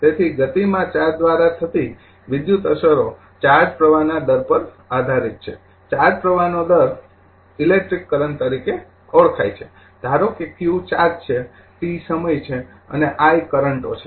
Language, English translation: Gujarati, So, the electrical effects caused by charges in motion depend on the rate of charge flow, the rate of charge flow is known as the electric current suppose if q is the charge, t is the time and i is the currents